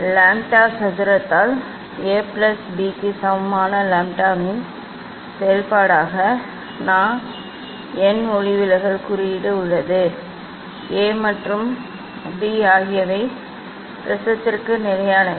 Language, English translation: Tamil, there is n refractive index as a function of lambda equal to A plus B by lambda square, A and B are the constant for the prism